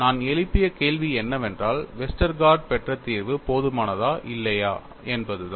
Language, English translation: Tamil, The question I raised was, whether the solution obtained by Westergaard was sufficient or not